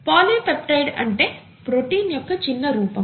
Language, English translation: Telugu, A polypeptide is nothing but a shorter form of protein